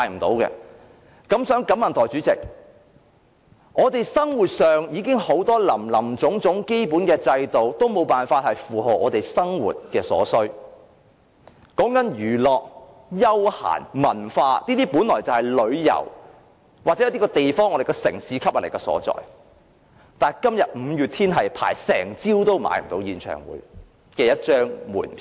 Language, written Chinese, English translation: Cantonese, 代理主席，我們生活上有很多林林總總的基本制度已經無法應付我們的生活所需，說到娛樂、休閒、文化等，本來是旅遊或一個地方、我們城市的吸引力所在，但今天輪候一整個早上，也購買不到一張五月天的演唱會門票。, Deputy President the various basic infrastructure facilities can no longer cope with the needs of our daily lives including the needs of entertainment recreation culture etc . These should have been the elements that make a place our city more appealing . But the fans of MayDay were unable to buy a ticket after having queued up for the whole morning today